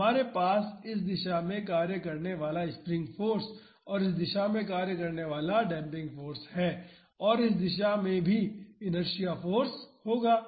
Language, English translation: Hindi, So, we have spring force acting in this direction and damping force acting in this direction and there will be inertia force also in this direction